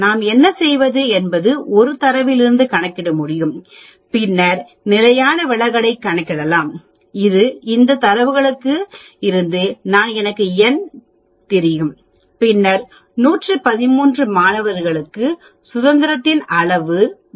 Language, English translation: Tamil, What we do is we can calculate x bar from this data then we can calculate standard deviation that is s from this data and I know n and then for 113 students the degree of freedom is 112